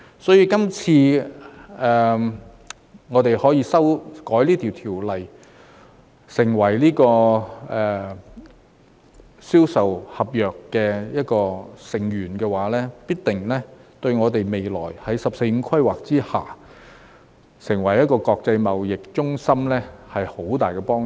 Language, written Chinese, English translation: Cantonese, 所以，今次修改這項條例草案，成為《銷售公約》的一個成員，必定對我們未來在"十四五"規劃下，成為一個國際貿易中心有很大幫助。, For this reason the amendments this time around to make Hong Kong become a party to CISG will certainly be of help to us in becoming an international trade hub in the future under the 14th Five - Year Plan